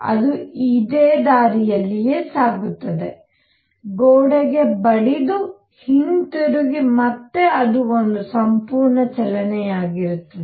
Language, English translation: Kannada, It will go this way, hit the wall and come back and that will be one complete motion